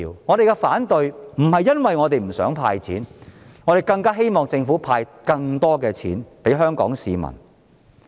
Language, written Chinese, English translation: Cantonese, 我們反對，並非因為我們不想"派錢"，我們更希望政府派發更多錢給香港市民。, We raise objection not because we do not want the Government to disburse money but because we hope that it will disburse more money to Hong Kong people